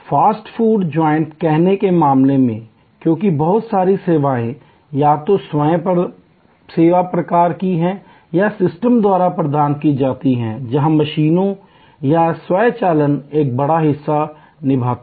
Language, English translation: Hindi, In case of say fast food joint, because a lot of the services there are either of the self service type or provided by systems, where machines or automation play a big part